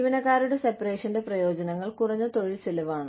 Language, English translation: Malayalam, Benefits of employee separations are reduced labor costs